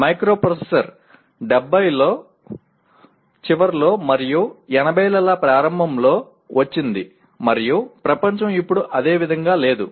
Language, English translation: Telugu, That is where the microprocessor have come in late ‘70s and early ‘80s and the world is not the same anymore